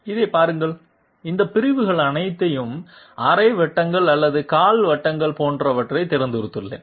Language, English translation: Tamil, See this one, I have chosen all all of these segments to be either semicircles or quarter circles, et cetera et cetera